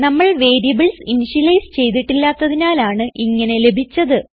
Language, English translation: Malayalam, This is because, we have not initialized the variables to any value